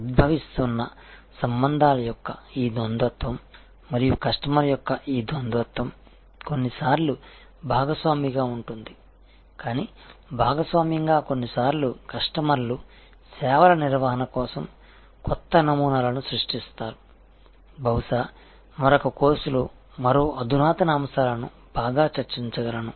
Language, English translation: Telugu, And this duality of a emerging relationships and this duality of customer sometimes as partnership, but partnership sometimes as customers create new paradigms for services management, which perhaps in an another course one more advance topics will be able to discuss better